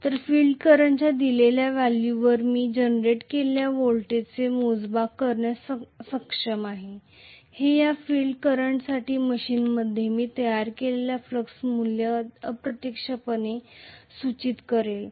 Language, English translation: Marathi, So, at a given value of field current I will be able to measure how much is the generated voltage which will indirectly imply what is the value of flux that I have produced in the machine for this given field current